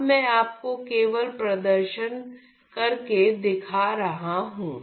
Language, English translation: Hindi, So, now that I have now that I am just demonstrating to you